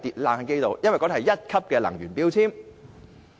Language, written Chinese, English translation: Cantonese, 因為那是1級能源標籤。, This is because those are Grade 1 energy labels